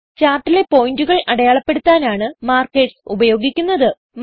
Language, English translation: Malayalam, Markers are used to mark points on the chart